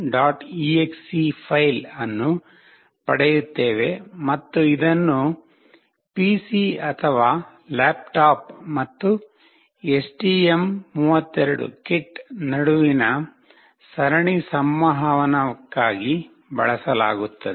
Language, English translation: Kannada, exe file and this will be used for the serial communication between the PC or laptop and the STM32 kit